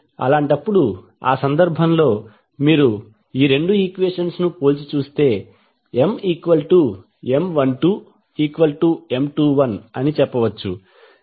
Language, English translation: Telugu, In that case, if you compare these two equations you can simply say that M 12 is equal to M 21